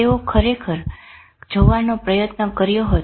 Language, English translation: Gujarati, They have tried to really see